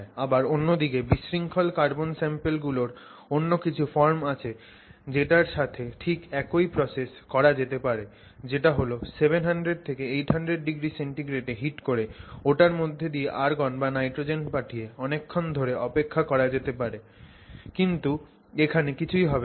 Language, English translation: Bengali, On the other hand, there are other forms of disordered carbon samples where you can do exactly the same procedure, take it to a, you know, 700, 800 degrees C, flow nitrogen or argon or some inert gas and you can wait indefinitely